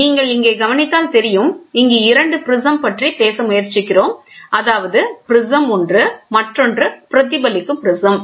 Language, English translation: Tamil, So, if you look back here, this is what we are trying to talk about prism reflecting prism, and you have this prism here 2 prisms